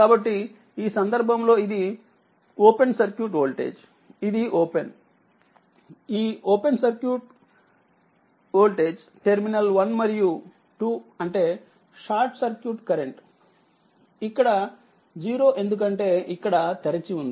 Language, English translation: Telugu, So, in this case, this this is your V o c; this is open this is v o c terminal is 1 2, so that means, short circuit current it is 0 here it because that is open